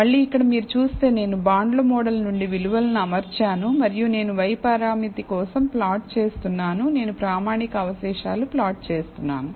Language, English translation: Telugu, So, again here, if you see I have fitted values from the bonds model and I am plotting for the y parameter, I am plotting the standardized residuals